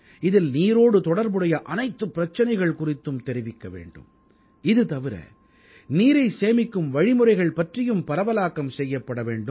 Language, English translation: Tamil, In this campaign not only should we focus on water related problems but propagate ways to save water as well